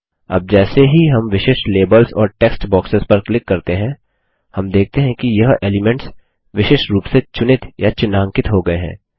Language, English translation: Hindi, Now as we click on the individual labels and text boxes, we see that these elements are selected or highlighted individually